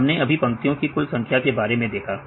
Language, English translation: Hindi, Just now we saw about the total number of lines